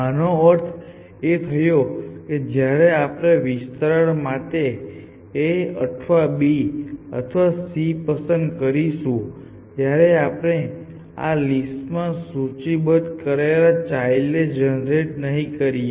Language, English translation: Gujarati, This means that when we in turn were to pick a or b or c for expansion we would not generate those children which we have listed in this list here